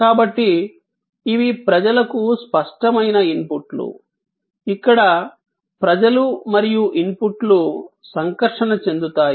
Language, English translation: Telugu, So, these are tangible inputs to people, where people and the inputs interact